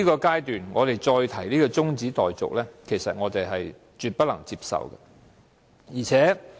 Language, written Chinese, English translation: Cantonese, 在這刻提出中止待續，我絕對不能接受。, I definitely cannot accept the adjournment motion moved at this stage